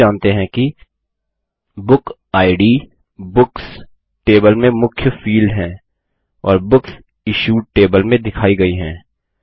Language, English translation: Hindi, We also know that book id is the key field in the books table and is represented in the Books Issued table